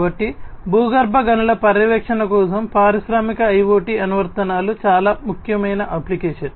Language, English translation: Telugu, So, Industrial IoT applications for gas monitoring underground mines is very important application